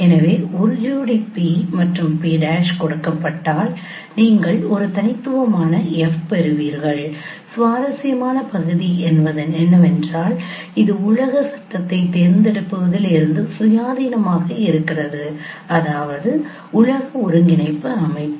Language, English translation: Tamil, So given a pair of P and P prime you get an unique F and the interesting part is that it is independent of choice of world frame means world coordinate system